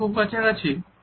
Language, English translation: Bengali, Is it is too close